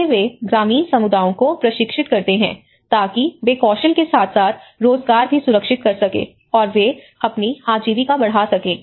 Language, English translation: Hindi, How they train the rural communities so that they can also secure skill as well as the employment and they can enhance their livelihoods